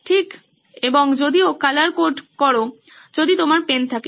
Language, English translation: Bengali, Right, and even colour code it if you have the pens